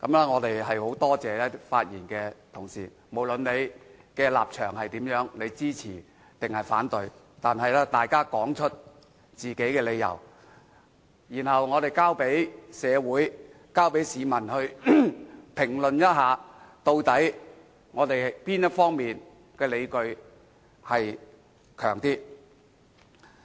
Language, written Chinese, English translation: Cantonese, 我很感謝發言的同事，無論他們的立場為何，是支持還是反對這項議案，他們都說出了各自的理由，而我們應讓社會和市民評論究竟哪一方的理據較強。, I would like to thank Honourable colleagues who have spoken irrespective of their stances . No matter they are supportive of or opposed to the motion they have stated the reasons for their stances and we should leave it to the community and the public to comment which stance is better justified